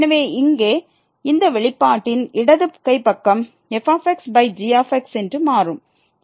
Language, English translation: Tamil, So, this here with this expression left hand side will become over